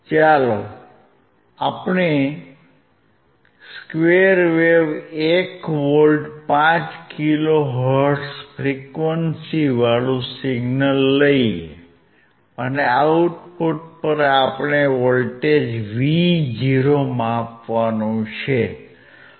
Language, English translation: Gujarati, Let us see square wave 1 volt 5 kilo hertz and at the output we had to measure the voltage Vo